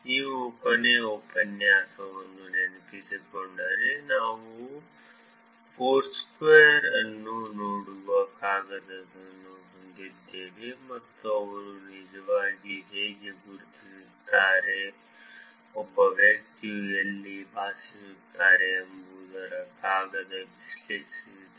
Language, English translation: Kannada, If you remember last lecture, we had paper which looked at Foursquare, and the paper analyzed, how they can actually identify, where a person lives